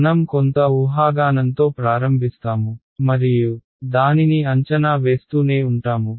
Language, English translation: Telugu, We will start with some guess and keep it finding the guess